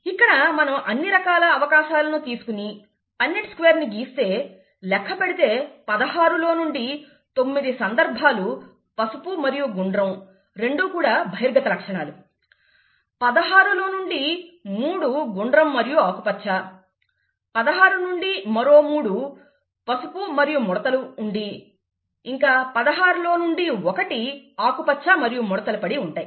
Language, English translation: Telugu, If we draw a Punnett Square here of all the possibilities, you can see if you count, that nine out of the sixteen possibilities would be yellow and round, both dominant characters; three out of sixteen would be round and green; three out of sixteen would be yellow and wrinkled and one out of sixteen would be green and wrinkled